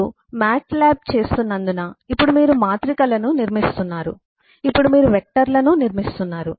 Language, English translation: Telugu, now you are building up matrices, now you are building up vectors, because you are doing a matlab